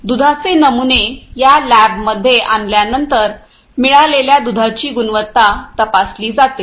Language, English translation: Marathi, So, basically after the milk sample is brought to this lab, the quality of the milk that is received is checked